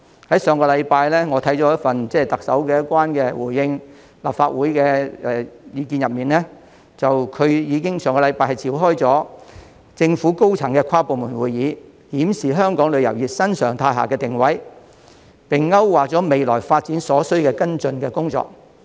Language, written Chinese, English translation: Cantonese, 在上星期，我看到特首有關回應立法會質詢的意見中，表示在上星期已經召開政府高層的跨部門會議，檢視香港旅遊業在新常態下的定位，並勾畫了未來發展所需的跟進工作。, I notice from her answer to Legislative Council questions last week that she has already convened a high - level interdepartmental meeting to review the position of the tourism industry in Hong Kong in the current new normal . They have also outlined the follow - up actions to be taken for the future